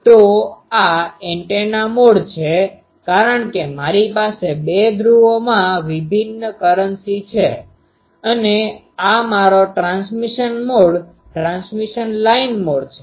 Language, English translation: Gujarati, So, this is antenna mode because I have differential currencies in the two poles and this is my transmission mode, transmission line mode